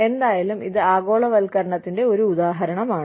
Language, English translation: Malayalam, But, anyway, so this is one example of globalization